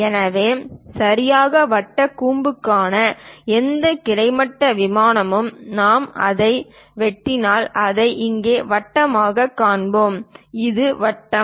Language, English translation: Tamil, So, any horizontal plane for a right circular cone if we are slicing it, we will see it as circle here, this is the circle